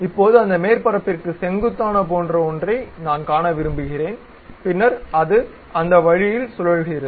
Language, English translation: Tamil, Now, I would like to see something like normal to that surface, then it rotates in that way